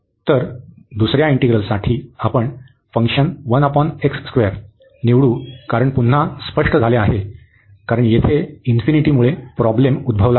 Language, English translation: Marathi, So, for the second integral, we will choose the function 1 over x square the reason is again clear, because here the function the problem is because of this infinity